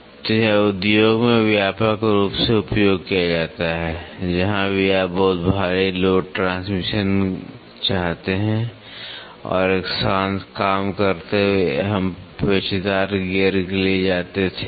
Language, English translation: Hindi, So, this is widely used in industry, wherever you want to have very heavy load transmission and a quiet working we used to go for helical gear